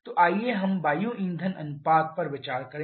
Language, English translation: Hindi, So, let us consider the air fuel ratio